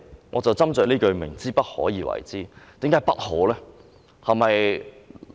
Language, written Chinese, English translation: Cantonese, 我就斟酌這句"不可為而為之"，為何不可呢？, Let me focus on the saying that we are striving for the impossible why cant this be done?